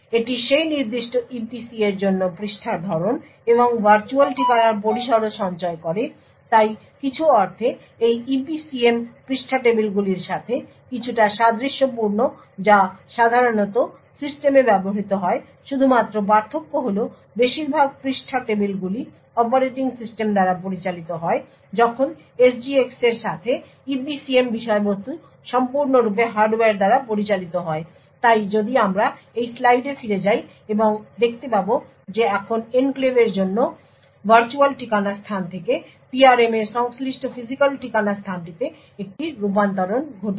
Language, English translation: Bengali, It also stores the type of page and the virtual address range for that particular EPC so in some sense this EPCM is somewhat similar to the page tables which are generally used in systems the only difference is that the most of the page tables are managed by the operating system while with the SGX the EPCM contents is completely managed by the hardware so if we actually go back to this slide and see that there is now a conversion from the virtual address space for the enclave to the corresponding physical address space in the PRM